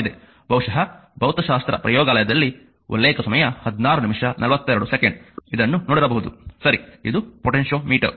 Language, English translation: Kannada, Perhaps in physics lab in your in your you might have seen it, right this is a potentiometer